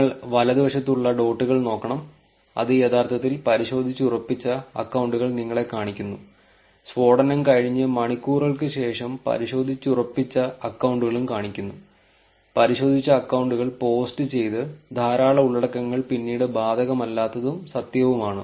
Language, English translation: Malayalam, You should look the dots in the right, it actually shows you the verified accounts, verified accounts also show hours after the blast, there is a lot of content posted by verified accounts which are not applicable and true later